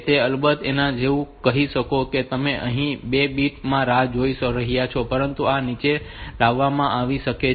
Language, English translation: Gujarati, So of course, you can say that you are waiting for two bit times here, but this may be brought down also